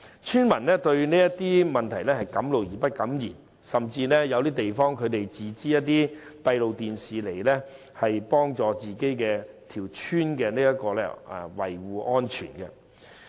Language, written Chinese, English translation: Cantonese, 村民敢怒而不敢言，甚至在某些地方自資裝設閉路電視，幫助本村村民，維護安全。, Villagers dared not voice their anger . In some villages villagers will install closed - circuit televisions at their own expenses in order to protect themselves for safety reasons